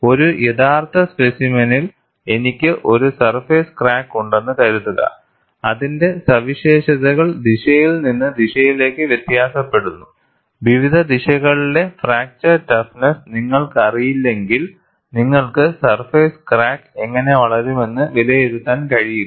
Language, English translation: Malayalam, Suppose, I have a surface crack in an actual specimen, whose properties vary from direction to direction, you would not be in a position to assess how the surface crack will grow, unless you know the fracture toughness along various directions